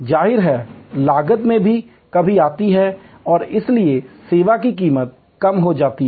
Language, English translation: Hindi, It obviously, also in reduces cost and therefore, may be the service price will be reduced